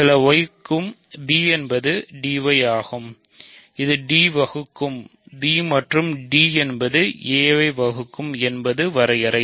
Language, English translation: Tamil, So, b is d y for some y which is exactly the definition of d dividing b and d dividing a